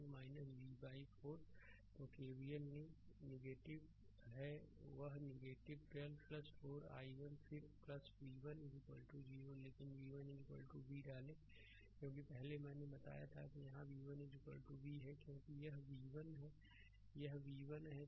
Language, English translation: Hindi, So, you take KVL that is minus 12 plus 4 i 1, then plus v 1 is equal to 0, but put v 1 is equal to v right because earlier I told you that here v 1 is equal to v, because this is v this is v 1